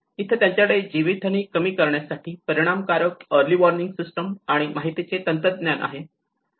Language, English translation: Marathi, Here they have effective early warning and the information mechanisms in place to minimise the loss of life